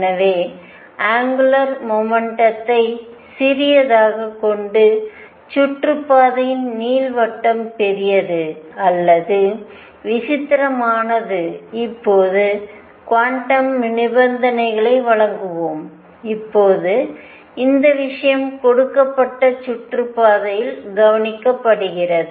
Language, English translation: Tamil, So, smaller the angular momentum larger the ellipticity or eccentricity of the orbit right now let us supply quantum condition, now in this case is notice that for a given orbit